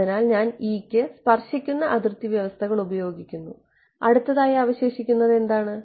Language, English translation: Malayalam, So, I have used tangential boundary conditions for E next what it remains